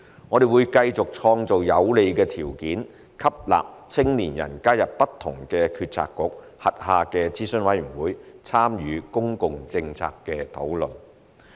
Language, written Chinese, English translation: Cantonese, 我們會繼續創造有利條件吸納青年人加入不同政策局轄下的諮詢委員會，參與公共政策討論。, We will continue to create a favourable environment for young people to participate in advisory committees of different bureaux to engage in public policy deliberation